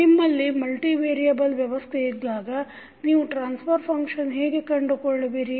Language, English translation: Kannada, That means if you have multiple variable in the system, how you will find out the transfer function